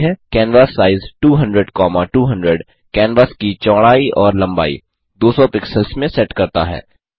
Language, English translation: Hindi, canvassize 200,200 sets the canvas width and height to 200 pixels